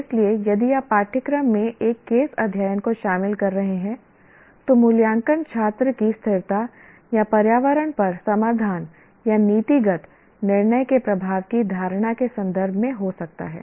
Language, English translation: Hindi, So, if you are incorporating a case study in a course, the assessment could be in terms of students' perception of impact of a solution or policy decision on sustainability and environment